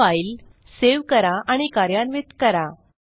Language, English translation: Marathi, Now, save and run this file